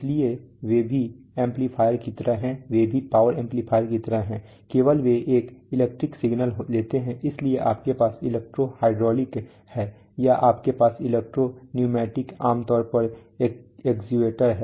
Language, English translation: Hindi, So we, so they are also like amplifier, they are also like power amplifiers only they take an electric signal, so you have electro hydraulic or you have electro pneumatic typically actuators